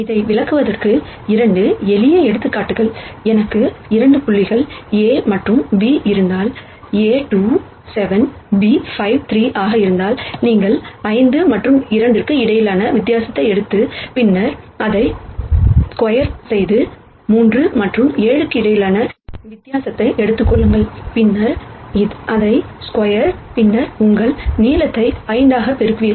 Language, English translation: Tamil, Two simple examples to illustrate this, if I have 2 points A and B where A is 2 7 b is 5 3 then, the distances you take the difference between 5 and 2 and then square it and then, take the difference between 3 and 7 and then square it and then you will get your length as 5